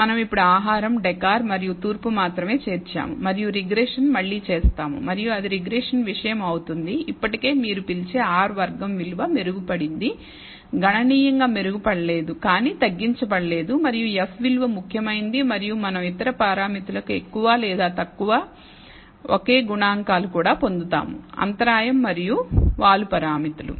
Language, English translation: Telugu, We have only included now food, decor and east and done the regression again and it turns out that regression thing is still what you call the R squared value is improved not improved significantly, but not reduced and F value is significant and we get the more or less the same coefficients for the other parameters also the intercept and the slope parameters